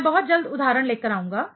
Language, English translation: Hindi, I will come with an example very soon